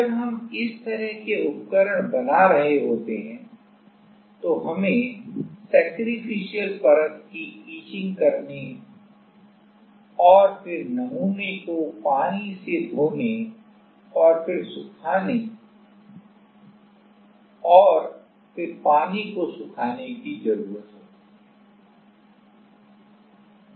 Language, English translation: Hindi, While we are making these kind of devices we need to go the sacrificial layer etching and then washing the sample with water and then drying the water